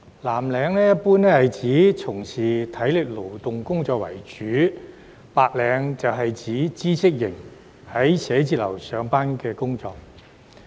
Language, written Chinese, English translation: Cantonese, 藍領一般是指主要從事體力勞動工作的人士，而白領則是指知識型、在辦公室上班的人士。, In general blue - collar workers refer to individuals who mainly perform manual work whereas white - collar workers refer to individuals who perform knowledge - based work in offices